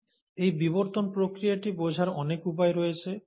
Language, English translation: Bengali, So, there are ways to understand this evolutionary process